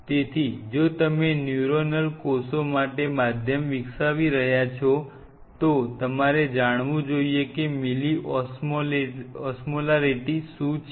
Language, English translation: Gujarati, So, if you are developing a medium for the neuronal cells, then you should know that what is the mill osmolarity